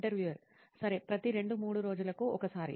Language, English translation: Telugu, Okay, once every two to three days